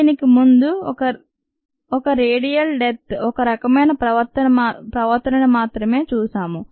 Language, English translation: Telugu, before that we did see that ah, this linear killing, is only one kind of a behavior